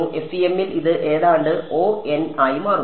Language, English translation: Malayalam, In FEM this turns out to be almost order n